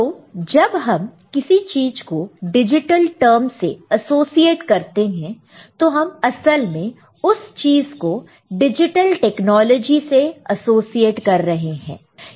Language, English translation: Hindi, And when we associate a term digital, with any particular entity what actually we mean that that entity is associated with digital technology